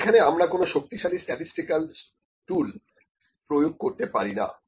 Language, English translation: Bengali, But we cannot apply very powerful statistical tools here